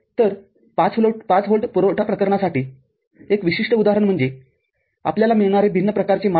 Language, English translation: Marathi, So, one particular example for a 5 volt supply case is the different kind of parameters that you get